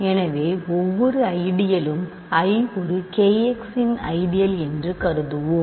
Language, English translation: Tamil, So, I is an ideal of K x then there exists